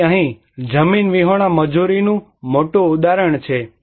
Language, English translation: Gujarati, So, here is greater example of landless labour